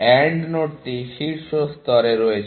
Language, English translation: Bengali, The AND node is at top level